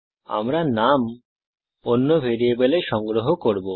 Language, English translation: Bengali, Well store the name in a different variable